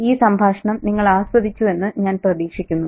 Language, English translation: Malayalam, I hope you had a very enjoyable time listening to this conversation